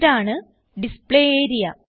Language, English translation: Malayalam, This is the Display area